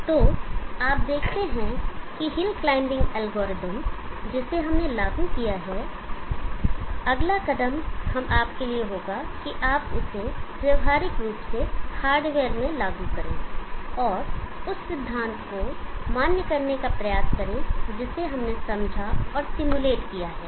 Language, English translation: Hindi, So you see that the hill climbing algorithm we have implemented, the next step we would be for you to practically implement them in hardware and try to validate the theory that we have understood and simulated